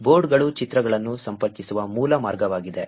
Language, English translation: Kannada, Boards is the basic way by which the images are connected